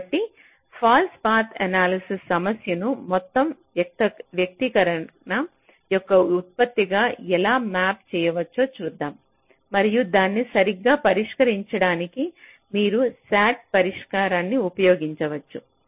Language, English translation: Telugu, so let us see how the false path analysis problem can be mapped into a product of sum expression and you can use a sat solver